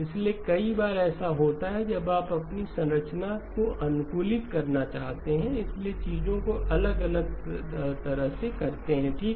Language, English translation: Hindi, So there are several times when you may want to optimise your structure and therefore do things little bit differently okay